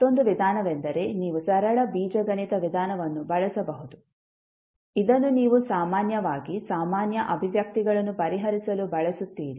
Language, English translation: Kannada, Another method is that you can use simple algebraic method, which you generally use for solving the general expressions